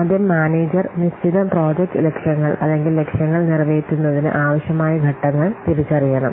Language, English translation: Malayalam, First, the manager has to identify the steps required to accomplish the set project objectives or the targets